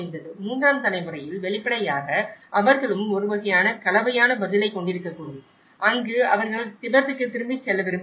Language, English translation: Tamil, Where in the third generation, obviously, they also have could have a kind of mixed response where they also want to go back to Tibet and you know, someday that they hope that they go back